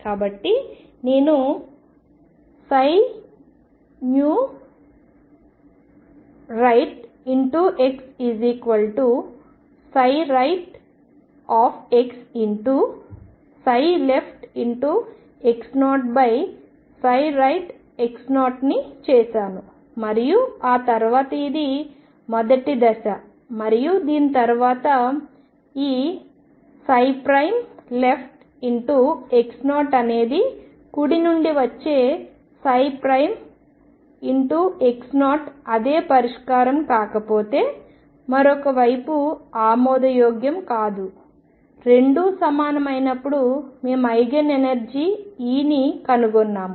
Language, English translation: Telugu, So, I have made psi right new x equals psi right x times psi left x 0 divided by psi right x 0 and then after that this is step one and after this, this C if psi prime left x 0 is same as psi prime x 0 coming from right if it is not the solution is not acceptable on the other hand if the 2 are equal then we have found the Eigen energy E